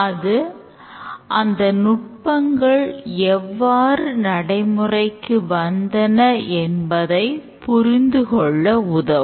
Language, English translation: Tamil, That will give us a better understanding about how the techniques have come into being